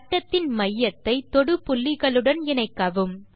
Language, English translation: Tamil, Join centre of circle to points of contact